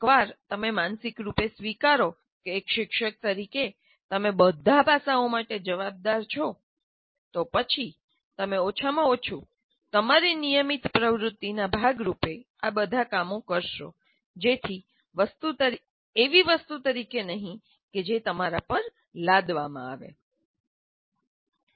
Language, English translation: Gujarati, So once you mentally accept that as a teacher you are responsible for all aspects, then you will at least do all this work, at least as a part of your normal activity, not something that is extra that is imposed on you